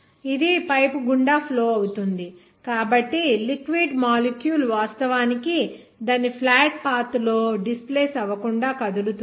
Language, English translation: Telugu, It will be flowing through the pipe so if the molecule of the liquid is moving without actually displacing on its flat path